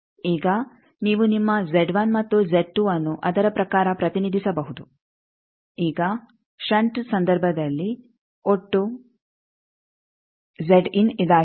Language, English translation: Kannada, So, now you can represent your Z 1 and Z 2 in terms of that, now in the shunt case the total Z in is this